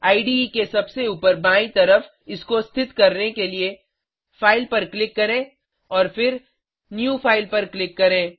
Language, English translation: Hindi, On the top left corner of the IDE, Click on File and click on New Project